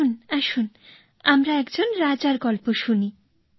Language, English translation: Bengali, "Come, let us hear the story of a king